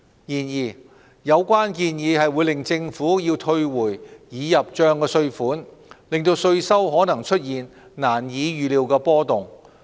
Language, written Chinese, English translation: Cantonese, 然而，有關建議會令政府要退回已入帳的稅款，令稅收可能出現難以預料的波動。, However the suggestion may result in the Government having to issue tax refunds thus causing drastic and unpredictable fluctuations in tax revenue